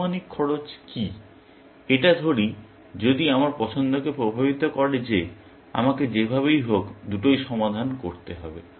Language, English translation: Bengali, Does the estimated cost; should it influence my choice having said that, I have to solve both anyways, essentially